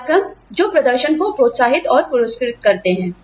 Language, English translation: Hindi, Programs, that encourage, and reward performance